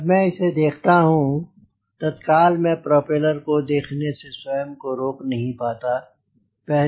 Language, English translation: Hindi, once i see this, immediately, i cannot avoid looking at the propeller